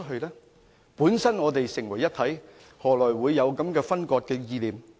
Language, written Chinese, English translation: Cantonese, 我們本身是成為一體，何來會有分割的意念呢？, When we are part of a whole where does the concept of land - cession come from?